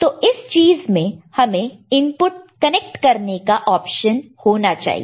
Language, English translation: Hindi, So, in that case you need to have option for connecting inputs, ok